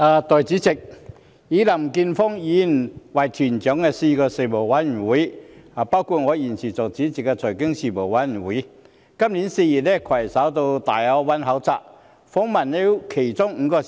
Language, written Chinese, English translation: Cantonese, 代理主席，林健鋒議員以團長的身份率領4個事務委員會，包括我現時擔任主席的財經事務委員會，於今年4月攜手到粵港澳大灣區考察，訪問了其中5個城市。, Deputy President Mr Jeffrey LAM in his capacity as the leader of a joint delegation of four panels including the Panel on Financial Affairs currently chaired by me led a duty visit to five cities of the Guangdong - Hong Kong - Macao Greater Bay Area in April this year